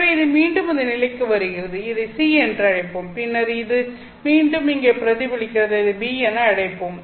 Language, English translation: Tamil, So this comes back to this point let's call this as C and then this again gets reflected here